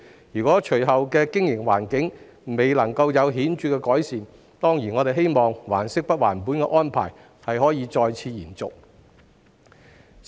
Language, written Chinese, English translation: Cantonese, 如果隨後的經營環境未有顯著改善，我們當然希望"還息不還本"的安排可再次延續。, If there is no noticeable improvement in the business environment afterwards we certainly hope that the scheme will be extended again